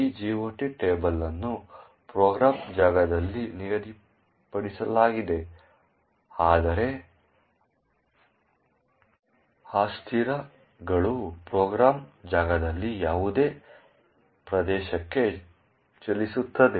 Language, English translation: Kannada, This GOT table is fixed in the program space, but the variables move into any region in the program space